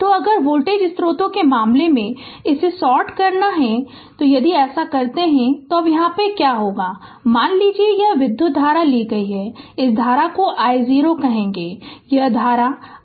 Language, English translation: Hindi, So, if in the case of voltage source, we have to sort it; if you do so, now what will happen now as soon as suppose this current is ah suppose this current say I 0 this current is I 0 right